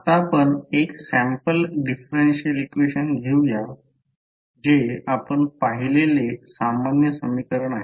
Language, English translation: Marathi, So, now let us take one sample differential equation say this is very common equation which you might have seen